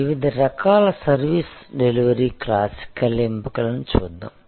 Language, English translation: Telugu, Let us look at the different types of service delivery classical options